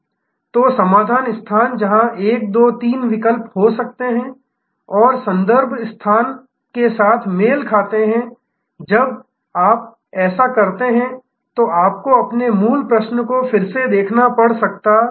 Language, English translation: Hindi, So, solution space, where there can be 1, 2, 3 alternatives and match that with the context space, when you do this, you may have to revisit your original question